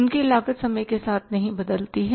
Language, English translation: Hindi, Their cost doesn't change over a period of time